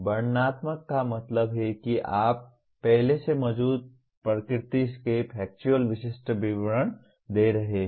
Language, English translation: Hindi, Descriptive means you are giving factual specific details of what already exist in nature